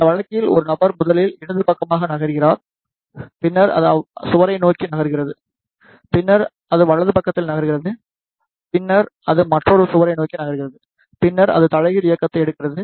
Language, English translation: Tamil, In this case a person is moving first to the left side, then it is moving towards the wall, then it is move in right side, then it is moving towards the another wall and then it is taking the reverse motion